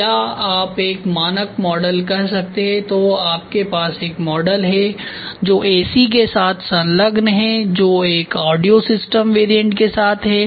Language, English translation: Hindi, Or you can say a standard model then you have a model which is attached with AC which is attached with a audio system variants ok